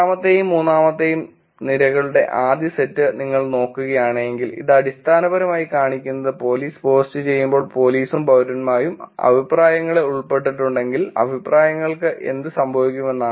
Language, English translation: Malayalam, If you look at the first set of columns which is the second and the third column, this is basically showing that when police does the post what happens to the comments if police and citizens are involved in the comments